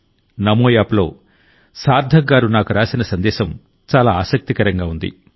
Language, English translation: Telugu, The message that Sarthak ji has written to me on Namo App is very interesting